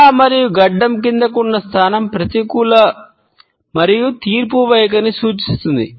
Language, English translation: Telugu, The head and chin down position signals a negative and judgmental attitude